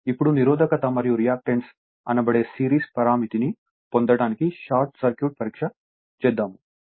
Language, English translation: Telugu, Now, Short Circuit Test to obtain the series parameter that is your resistance and reactance